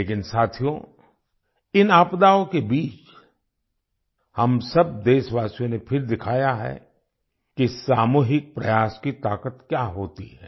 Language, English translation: Hindi, But friends, in the midst of these calamities, all of us countrymen have once again brought to the fore the power of collective effort